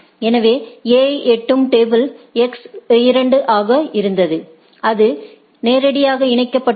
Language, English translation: Tamil, So, A for A table reaching X was 2 and it is directly connected alright